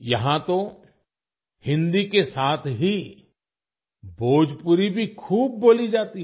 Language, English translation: Hindi, Bhojpuri is also widely spoken here, along with Hindi